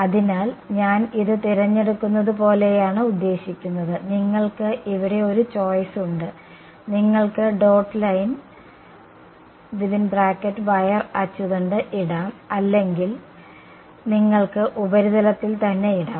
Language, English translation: Malayalam, So, I mean should I choose it like the, you have one choice over here, you can put on the dotted line or you can put on the surface itself